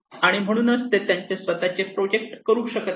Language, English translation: Marathi, So they cannot carry out their own projects